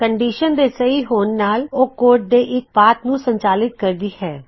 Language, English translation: Punjabi, If the condition is True, it executes one path of code